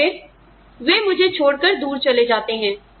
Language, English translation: Hindi, And then, they leave me, and go away